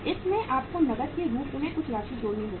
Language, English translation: Hindi, Into this you have to add some amount as cash